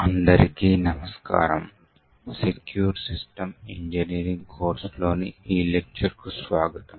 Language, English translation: Telugu, Hello and welcome to this demonstration in the course for Secure System Engineering